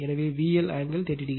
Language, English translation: Tamil, So, V L angle 30 degree